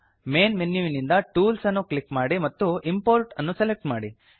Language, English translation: Kannada, From the Main menu, click Tools and select Import